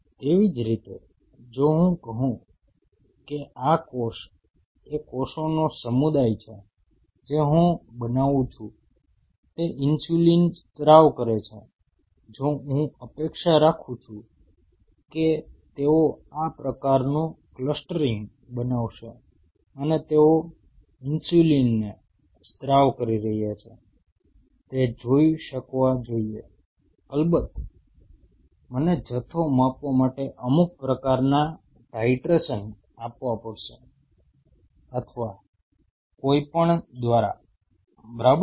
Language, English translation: Gujarati, Similarly if I say this cell is these community of cells what I am growing is suppose to secrete insulin, then I expect that they will form this kind of clustering and should be able to see they are secreting insulin which of course, I have to quantify by some kind of titration or whatever right